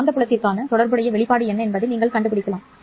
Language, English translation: Tamil, You can find out what will be the corresponding expression for the magnetic field